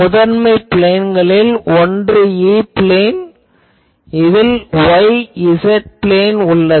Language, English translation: Tamil, Principal planes will be; so, one is E plane we call where the y z plane